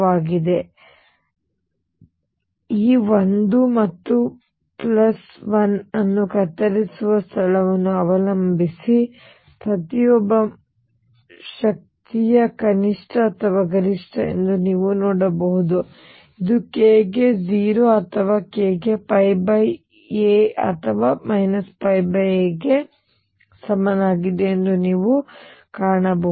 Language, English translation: Kannada, So, you can see for each man energy is either minimum or maximum depending on where this cuts this 1 and plus 1 and you will find that this is either k equals 0 or k equals pi by a or minus pi by a